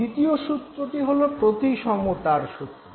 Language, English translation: Bengali, The second law is the law of symmetry